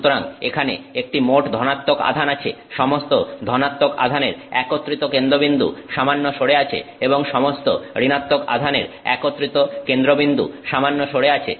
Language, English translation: Bengali, Therefore the net positive there is a net positive charge the center of all the positive charges put together is a little bit displaced and the center of all the negative charges is a little bit displaced